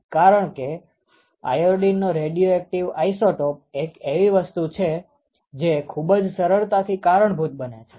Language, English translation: Gujarati, So, the radioactive isotope of iodine is something which can be very easily triggered